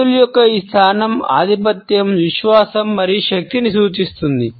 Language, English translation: Telugu, This position of hands indicates superiority, confidence and power